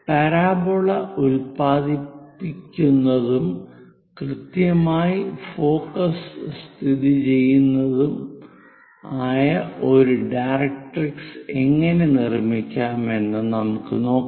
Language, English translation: Malayalam, Now, how to construct a directrix which is generating parabola and also where exactly focus is located, for this let us look at the picture